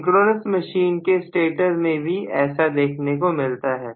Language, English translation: Hindi, This is the same case with synchronous machine stator as well